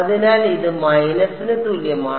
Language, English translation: Malayalam, So, this is going to be